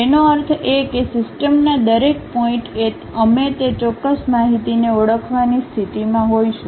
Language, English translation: Gujarati, That means, at each and every point of the system, we will be in a position to really identify that particular information